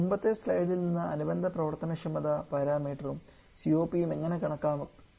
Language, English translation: Malayalam, From the previous slide we have seen how to calculate the corresponding performance para meter and also the COP